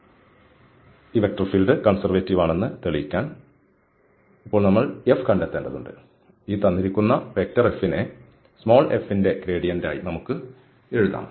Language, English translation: Malayalam, So to prove that this given vector field is conservative, we have to now find f, such that we can write this F as the gradient of small f